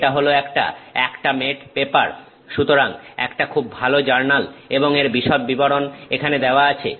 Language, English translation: Bengali, This is an Acta mate paper so; it is a very good journal and the details are given here